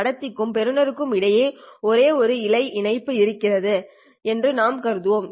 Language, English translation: Tamil, After transmission we will assume that there is only one fiber link between the transmitter and the receiver